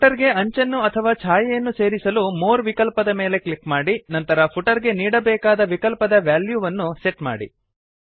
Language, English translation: Kannada, To add a border or a shadow to the footer, click on the More option first and then set the value of the options you want to put into the footer